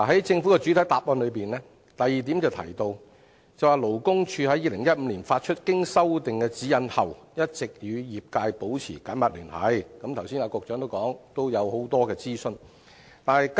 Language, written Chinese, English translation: Cantonese, 政府的主體答覆第二部分提到，勞工處在2015年發出經修訂的《指引》後，一直與業界保持緊密聯繫，而局長剛才亦提及很多諮詢工作。, It is mentioned in part 2 of the Governments main reply that after the issuance of the revised GN in 2015 LD has been maintaining close contact with the industry . And the Secretary also mentioned just now the series of consultative work done